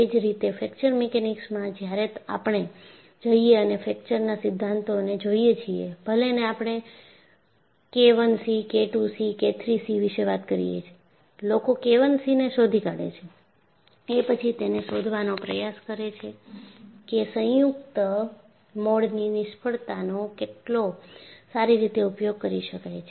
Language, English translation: Gujarati, So, similarly in Fracture Mechanics, when we go and look at fracture theories, even though we talk about K I c, K II c, K III c, people find out K I C and try to find out how well it can be utilized even to predict a combined mode failure